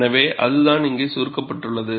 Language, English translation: Tamil, So, that is what is summarized here